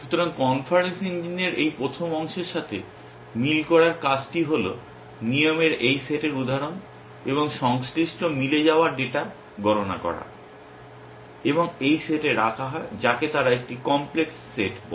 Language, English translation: Bengali, So, the task of match this first part of the inference engine is to compute this set of instances of rules and the corresponding matching data and put it into this set which they call is a complex set